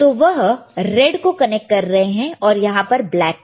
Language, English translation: Hindi, So, he is connecting the red and black, right